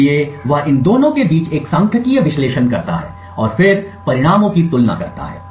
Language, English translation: Hindi, So, he performs a statistical analysis between these two and then compares the results